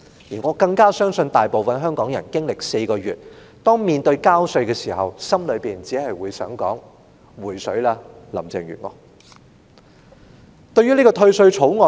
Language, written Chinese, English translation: Cantonese, 而我亦更加相信大部分香港人在經歷了這4個月的事件後，在交稅時心裏也只想說："'回水'吧，林鄭月娥"。, And I believe it all the more that after experiencing incidents which have taken place in these four months the majority of Hong Kong people would only want to say Please refund Carrie LAM when they pay tax